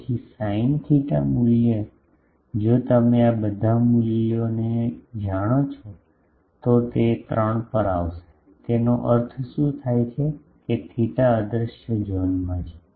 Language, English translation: Gujarati, So, sin theta value if you put you know all these values, it will come to the 3 what does that means, that theta is in the invisible zone